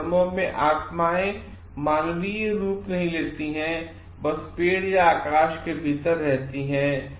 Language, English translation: Hindi, In such religions spirits do not take human form and are simply within tree or the sky